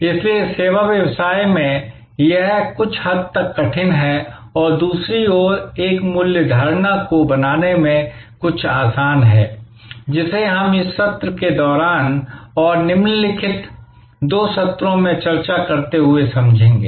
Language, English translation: Hindi, So, in service business, it is somewhat difficult and on the other hand, somewhat easier to create this value perception, which we will understand as we discuss during this session and in the following couple of sessions